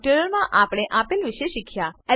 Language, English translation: Gujarati, In this tutorial we have learnt